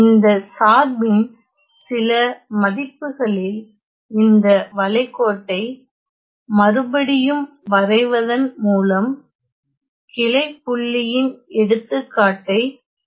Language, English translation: Tamil, Now it turns out that at certain value of this function; so let me just redraw this contour to show you an example of a branch point